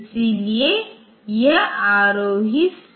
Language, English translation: Hindi, So, it is ascending stack